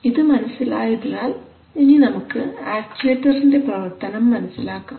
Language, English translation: Malayalam, So having understood this operation let us now look at the actuator